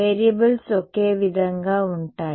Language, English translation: Telugu, Variables will be same in